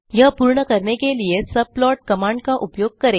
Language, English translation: Hindi, We use subplot command to accomplish this